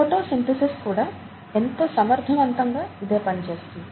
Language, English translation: Telugu, Photosynthesis does exactly the same thing in a very efficient fashion, right